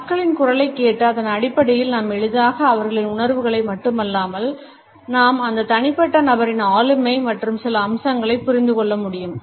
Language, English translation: Tamil, On the basis of listening to the other people’s voice, we can easily make out not only the emotions and feelings of the other person, we can also understand certain other aspects of that individual’s personality